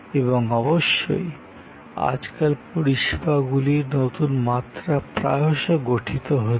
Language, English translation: Bengali, And of course, new dimension of services are often created these days